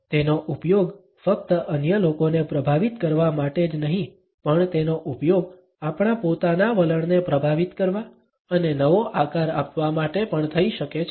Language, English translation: Gujarati, And, it can be used not only to influence other people, but it can also be used to influence and reshape our own attitudes